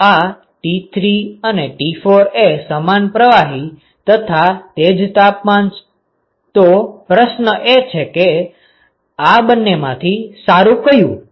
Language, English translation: Gujarati, So, this is my T3 and this is my T4; same fluid, same temperatures, question is which one is better